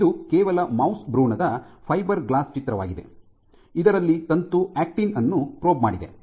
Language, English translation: Kannada, And this is just some images of mouse embryonic fiberglass which have been probed for filamentous actin and you see nice